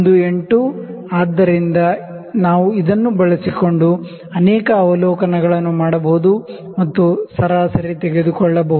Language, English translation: Kannada, 18, so, we can do multiple observations using this and take an average